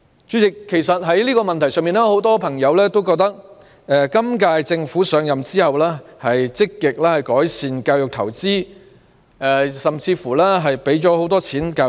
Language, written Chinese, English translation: Cantonese, 代理主席，在這個問題上，很多朋友都覺得，今屆政府上任後積極改善教育投資，在教育方面投放了很多資源。, Deputy President many people think that the current - term Government has made great improvement in this area by investing substantially in education